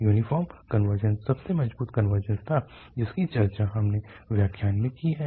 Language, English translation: Hindi, The uniform convergence was the strongest convergence, which we have discussed in the lecture